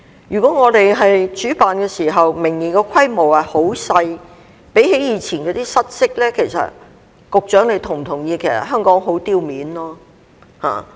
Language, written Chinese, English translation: Cantonese, 如果我們明年主辦時規模很小，相比以往失色，局長是否同意香港會很丟臉？, If the games we host next year are very small in scale and lacklustre compared with the previous ones does the Secretary agree that Hong Kong will lose face?